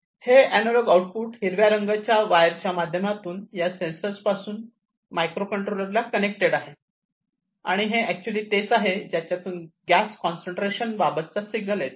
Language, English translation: Marathi, And this analog output is connected, through this blue colored where sorry the green colored wired from this sensor to this microcontroller and this is the one through which actually the signal about the gas concentration is coming